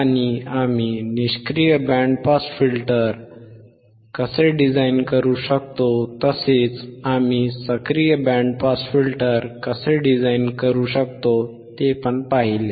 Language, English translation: Marathi, And how we can how we can design the passive band pass filter, and how we can design the active band pass filter, right